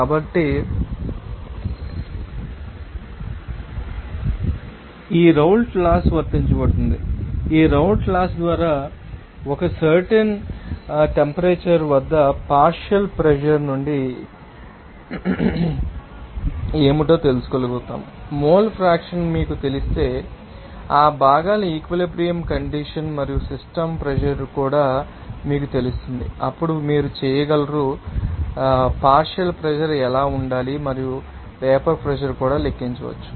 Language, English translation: Telugu, So, here we can say that by this Raoult’s Law will be able to know what from the partial pressure at a particular temperature once you know the mole fraction in you know equilibrium condition of that components and also system pressure, then you will be able to calculate What should be the partial pressure and also you can calculate that vapor pressure